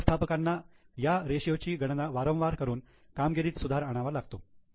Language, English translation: Marathi, So, for managers, they would continuously calculate this ratio and try to improve their performance